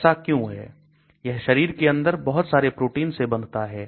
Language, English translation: Hindi, Why is it so, it binds to lot of proteins inside the body